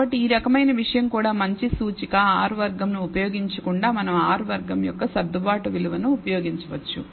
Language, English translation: Telugu, So, this kind of a thing is also a good indicator instead of using R squared we can use adjusted value of R square